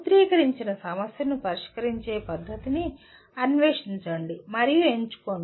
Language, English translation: Telugu, Explore and select a method of solving a formulated problem